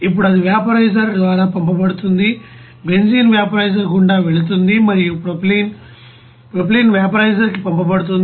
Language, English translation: Telugu, Now it will be sent through vaporizer, benzene will be passing through the benzene vaporizer and propylene will be send to the propylene vaporizer